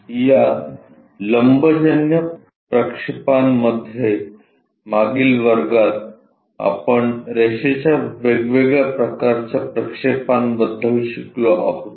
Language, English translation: Marathi, In these orthographic projections, in the last class we have learned about different kind of projections of a line